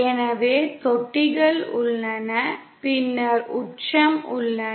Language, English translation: Tamil, So there are troughs and then there are peaks